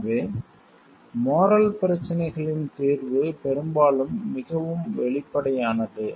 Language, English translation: Tamil, So, resolution of moral issues is often more obvious